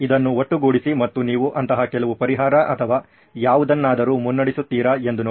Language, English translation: Kannada, Just sum it up and see if you are leading to some such solution or something